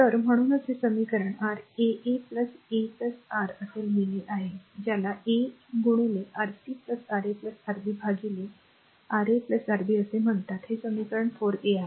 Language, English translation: Marathi, So that is why you are writing this equation your R 1 3 is equal to R 1 plus your what you call R 2 into Rc, Ra plus Rb by Ra plus Rb this is equation 43